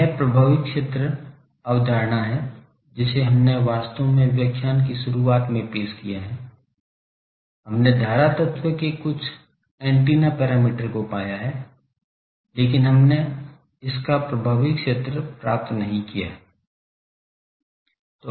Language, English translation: Hindi, This effective are concept we have introduced actually when we have introduced in the start of the lectures the current element, we have found some of the parameters antenna parameters of current element, but we have not found its effective area